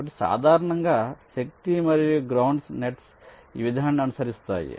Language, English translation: Telugu, ok, so typically the power and ground nets follow this approach